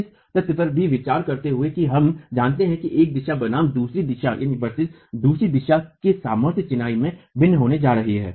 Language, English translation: Hindi, Also considering the fact that we know that strengths in one direction versus the other direction is going to be different in masonry